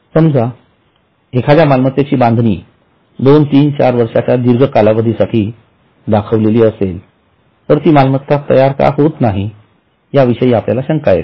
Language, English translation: Marathi, Suppose a particular item is shown as under construction for a long period, two, three, four years, then we will have a doubt as to why that item is not getting ready